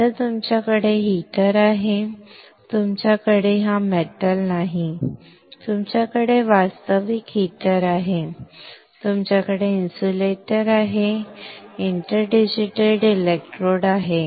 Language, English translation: Marathi, Now what you have you have heater right, you do not have this metal you have actual heater, you have insulator, you have interdigitated electrodes